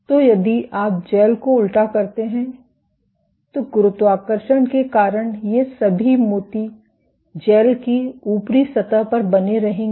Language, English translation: Hindi, So, if you polymerize the gel upside down then because of gravity all these beads will remain at the top surface of the gel